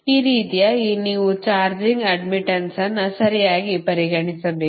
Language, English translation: Kannada, this way you have to consider the charging admittance right